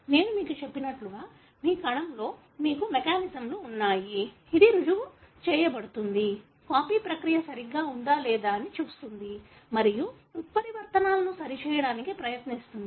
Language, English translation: Telugu, As I told you, you have mechanisms in place in your cell, which proof read, pretty much looks at whether the copying process is accurate or not and try to correct the mutations